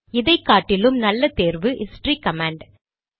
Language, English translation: Tamil, A better way is to use the history command